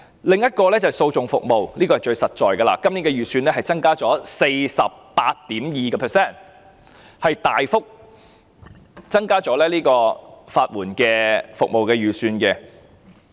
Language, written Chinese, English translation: Cantonese, 另一個綱領是訴訟服務，這是最實在的，今年的預算增加 48.2%， 大幅增加了法援服務的預算。, Another programme is on litigation services . This is the most practical one and the estimate this year has been increased by 48.2 % a significant increase in estimate for legal aid services